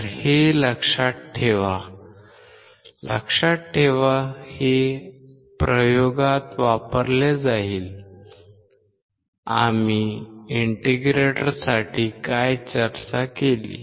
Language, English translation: Marathi, So, remember this, you will perform the experiments remember this; what we have discussed for integrator